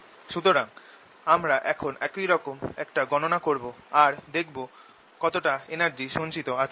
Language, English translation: Bengali, so we are going to do a similar calculation now to find out how much energy do we supply that is stored